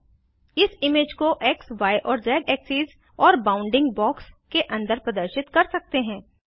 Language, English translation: Hindi, We can display the image with X,Y and Z axes and within a bounding box